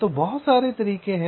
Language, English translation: Hindi, so there are so many ways, right